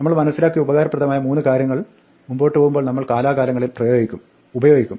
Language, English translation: Malayalam, What we have seen our three useful things which we will use from time to time as we go along